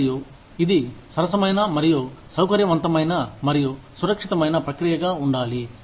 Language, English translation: Telugu, And, this should be a fair, and comfortable, and safe process